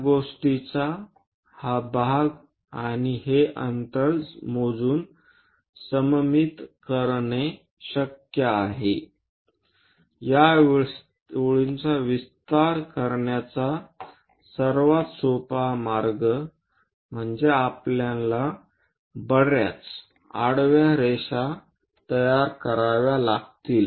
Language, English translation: Marathi, This part of the thing and one can make symmetric arguments by measuring whatever this distance, for example, the easiest way to extend this line is, we have to construct many horizontal lines 1